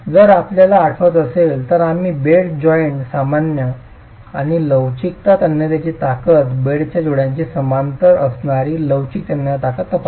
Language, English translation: Marathi, If you remember we examined, flexible tensile strength normal to the bed joint and flexual tensile strength parallel to the bed joint